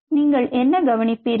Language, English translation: Tamil, what will you observe